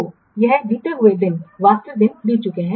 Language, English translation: Hindi, So, this is the allowed days, the actual days passed